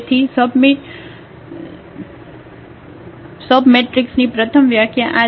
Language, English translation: Gujarati, So, first the definition here of the submatrix